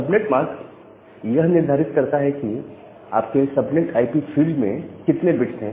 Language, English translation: Hindi, The subnet mask determines that how many number of bits are there in your subnet IP field